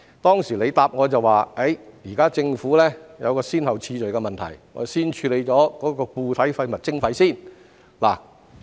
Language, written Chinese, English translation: Cantonese, 當時他回答我，現時政府有一個先後次序的問題，要先處理固體廢物徵費。, At that time he replied to me that the Government currently had a priority issue . It had to deal with solid waste charging first